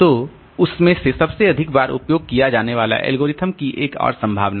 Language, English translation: Hindi, So, in that from that angle, so most frequently used algorithm is another possibility